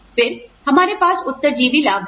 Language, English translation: Hindi, Then, we have survivor benefits